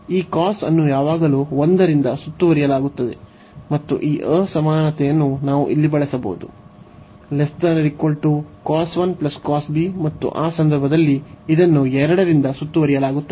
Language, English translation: Kannada, So, this cos is bounded by 1 always, and we can use this inequality here that this is less than cos 1 plus cos b, and in that case this will b bounded by 2